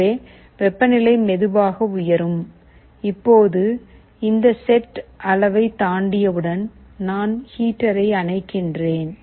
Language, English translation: Tamil, So, the temperature will slowly go up, now as soon as it crosses this set level, I turn off the heater